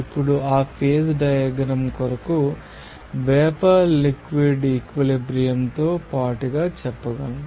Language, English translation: Telugu, Now, as for that phase diagram, we can say that along vapour liquid equilibrium